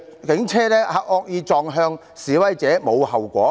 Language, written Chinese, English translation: Cantonese, 警車惡意撞向示威者，無須負上後果。, The Police have not been held liable for ramming into protesters maliciously with a police car